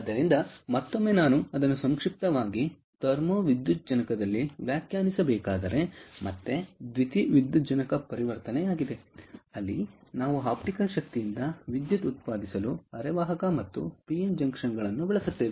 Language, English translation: Kannada, if i have to define it in a nutshell, thermo photovoltaic is again photovoltaic conversion, where we use semiconductor and pn junctions to generate electricity from optical energy